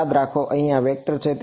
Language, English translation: Gujarati, Remember here this is a vector